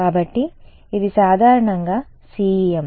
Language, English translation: Telugu, So, this is CEM in general ok